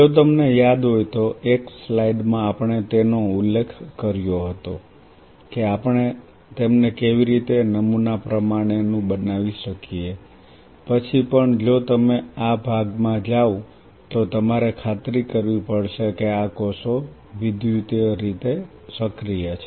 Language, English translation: Gujarati, As if you remember in one of the slides we mention that how we can pattern them followed by even if you can go this part you have to ensure that these cells are electrically active